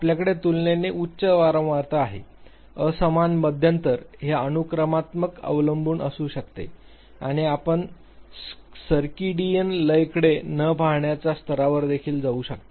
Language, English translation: Marathi, You have a relatively high frequency, unequal interval, it could be sequential dependency and even you can go to the level of no looking at the circadian rhythms